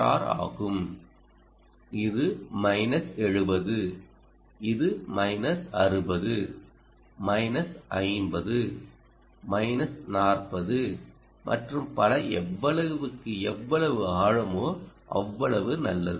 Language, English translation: Tamil, ok, this is minus seventy, this is minus sixty minus fifty, minus forty, and so on